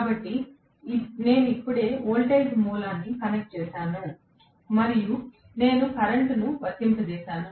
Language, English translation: Telugu, So, I have just connected a voltage source and I have applied the current